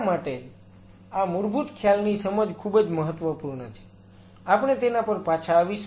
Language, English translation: Gujarati, That is why understanding of this fundamental concept is very important we will come back